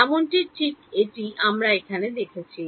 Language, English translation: Bengali, Even exactly that is what we have saw over here